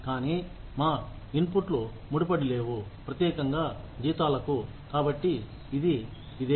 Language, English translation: Telugu, But, our inputs are not tied, exclusively to the salaries